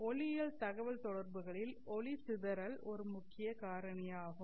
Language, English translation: Tamil, I said that dispersion is a major factor in optical communications